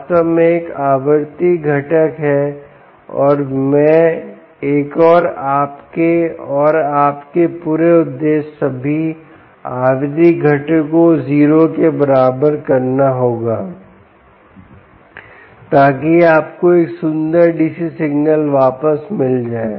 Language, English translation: Hindi, oops, there is indeed a frequency component and i, an and your and your whole purpose would be to make all the frequency components equal to zero, so that you get you back a beautiful dc signal